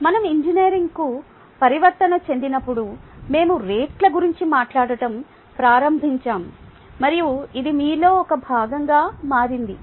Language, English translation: Telugu, when we made a transition to engineering, we started talking about rates and that has become a part of you